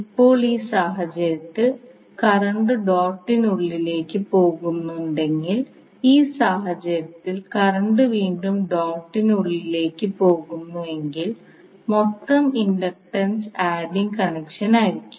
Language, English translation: Malayalam, Now in this case if the current is going inside the dot and in this case again the current is going inside the dot the total inductance will be the adding connection